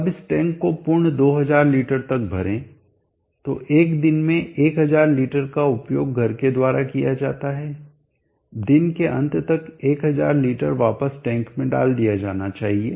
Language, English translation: Hindi, Now fill up this tank for complete 2000 liters so in a day 100l liter is utilized by then household, 1000 liter should be put back into the tank by the end of the day, so that is the logic that we will be using